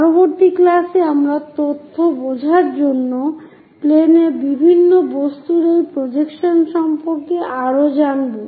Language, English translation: Bengali, In the next class, we will learn more about these projections of different objects on to planes to understand the information